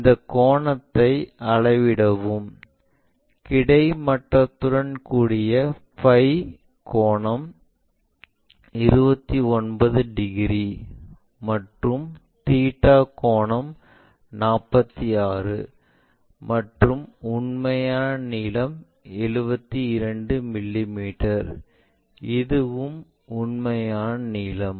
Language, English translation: Tamil, Let us measure this angle, the phi angle with horizontal it makes 29 degrees and the theta angle is 46, and true length is 72 mm, and this is also true length